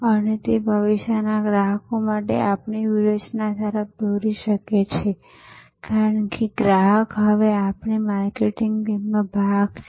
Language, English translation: Gujarati, And that can lead to our strategy for future customers, because the customer is now part of our marketing team